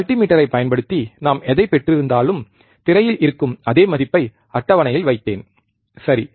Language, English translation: Tamil, Whatever we have obtained using the multimeter, if I put the same value, in the table which is on the screen, right